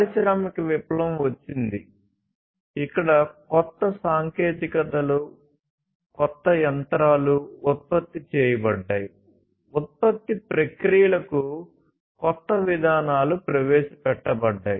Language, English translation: Telugu, Then came the industrial revolution where new technologies, new machines were produced, new approaches to the production processes were introduced